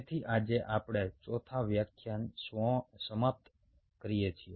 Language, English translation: Gujarati, so today we end of the fourth lecture